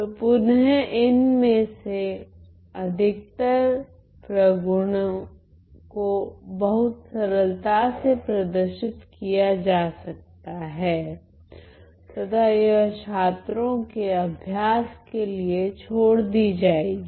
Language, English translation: Hindi, So, again most of these properties can be very easily shown and that will be left as an exercise to the students